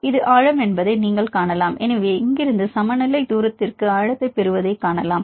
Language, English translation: Tamil, And you can see that this is the depth; so from here for the equilibrium distance; so, you can see you get the well depth